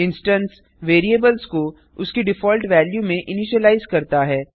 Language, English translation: Hindi, It initializes the instance variables to their default value